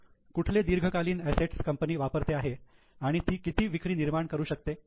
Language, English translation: Marathi, So, what are the long term assets used by the company and how much sales they are able to generate